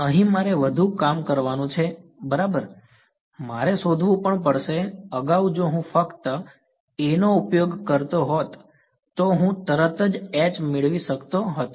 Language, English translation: Gujarati, Here I have to do more work right I have to also find phi, earlier if I used only A, I could get H straight away ok